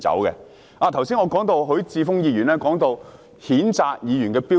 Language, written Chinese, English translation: Cantonese, 我剛才提及許智峯議員談到譴責議員的標準。, Just now I mentioned the standard for censure against a Member according to Mr HUI Chi - fung